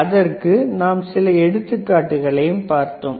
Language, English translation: Tamil, Then we have seen few examples